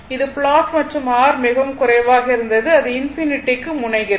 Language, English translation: Tamil, This is the plot and if R if R is very low it tends to infinity right